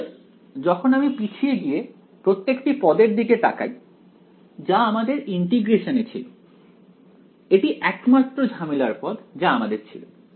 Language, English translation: Bengali, So, when we look back at all the terms that we had in the integration right this was the only problematic term when I have